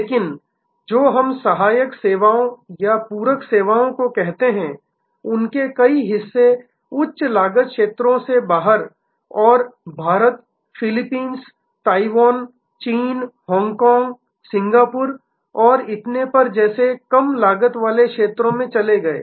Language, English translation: Hindi, But, many of the other parts of what we call auxiliary services or supplementary services moved out of the higher cost zones and moved to lower cost areas like India, Philippines, Taiwan, China, Hong Kong, Singapore and so on